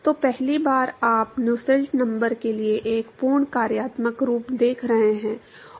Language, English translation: Hindi, So, the first time you are seeing a complete functional form for Nusselt number